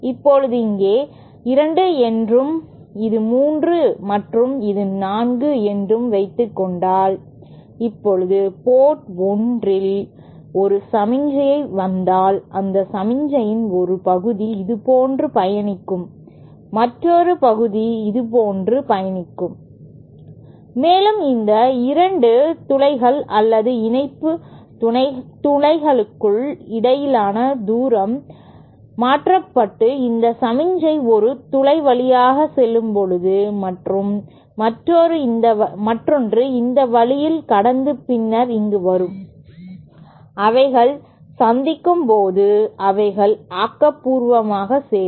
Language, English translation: Tamil, Now, if here suppose here 2, this is 3 and this is 4, now if there is a signal coming at port 1 then a part of that signal will travel like this and another part will travel like this and the distance between these 2 holes or coupling holes are so adjusted that when these a signal passing through a hole coming here and another single passing this way and then coming here, when they meet, they add constructively